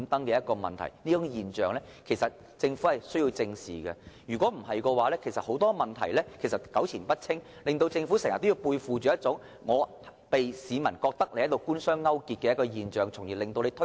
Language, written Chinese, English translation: Cantonese, 政府實有必要正視這種現象，否則問題只會糾纏不清，令政府經常背負着官商勾結之嫌，這樣只會令推動興建房屋的工作更加困難。, The Government must deal with this phenomenon squarely or else the problem will become more confounding subjecting the Government to the alleged collusion with the business sector . This will only make the Governments work of increasing housing construction even more difficult